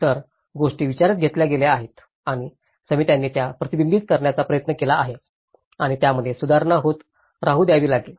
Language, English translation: Marathi, So, things have been taken into account and committees have try to reflect that and let it has to keep revising